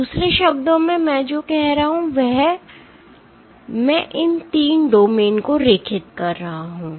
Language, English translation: Hindi, In other words, what I am saying is I am drawing these 3 domains